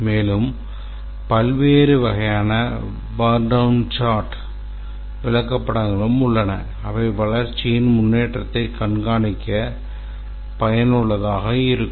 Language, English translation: Tamil, And then there are various types of burn down charts which are useful in monitoring the progress of the development